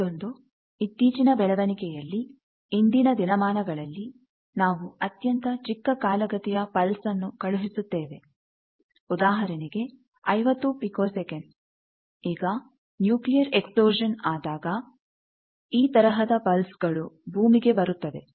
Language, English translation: Kannada, Then this was a fairly recent development that nowadays we want to send very short pulse of the duration of; let us say 50 picoseconds, now, when a nuclear explosion takes place these type of pulse come to earth